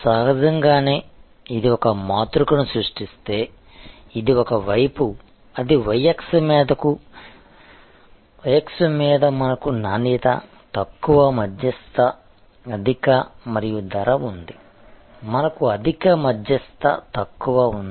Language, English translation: Telugu, Obviously, this is almost a common sense that if we create a matrix, which on one side; that is on the y axis we have quality, low, medium, high and price, we have high, medium low